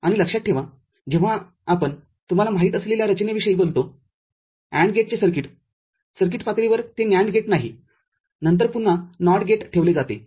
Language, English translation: Marathi, And remember when we talk about design you know, circuit of AND gate at circuit level it is not a NAND gate then again a NOT gate is put